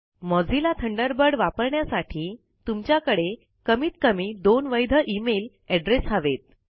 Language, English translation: Marathi, To use Mozilla Thunderbird,You must have at least two valid email addresses